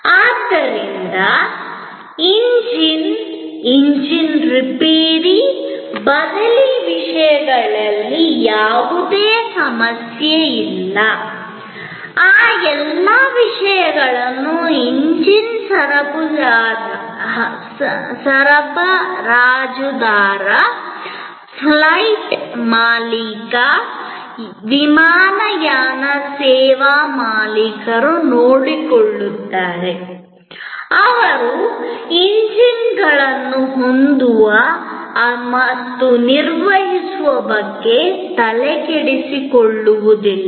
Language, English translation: Kannada, And therefore, there is any problem with the engine, the engine repair, replacement, all those things are taken care of by the engine supplier, the flight owner, the airline service owner, they do not have to bother about owning the engines and maintaining the engines and so on